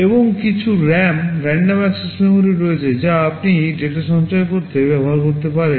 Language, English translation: Bengali, And there is also some RAM – random access memory, which you can use to store data